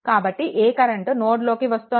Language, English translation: Telugu, So, this current is entering into the node